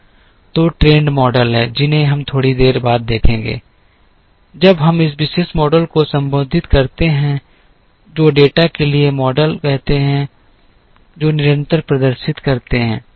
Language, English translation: Hindi, So, there are trend models which we will see a little later, after we address this particular model called the models for data that exhibit constant